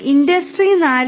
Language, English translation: Malayalam, In industry 4